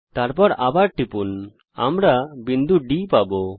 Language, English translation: Bengali, Then click again we get point D